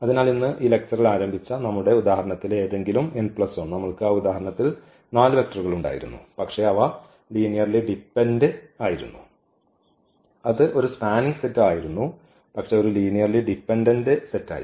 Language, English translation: Malayalam, So, here any n plus 1 in the in our example also which we started this lecture today we had those 4 vectors, but they were linearly dependent and that was a spanning set ah, but it was a linearly dependent set